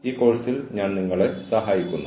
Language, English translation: Malayalam, And, i have been helping you, with this course